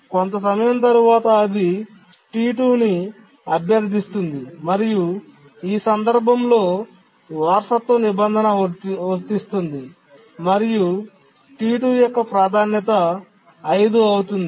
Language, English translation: Telugu, And after some time it requests T2 and in this case the inheritance clause will apply and the priority of T2 will become 5